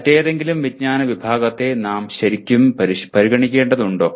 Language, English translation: Malayalam, Should we really consider any other category of knowledge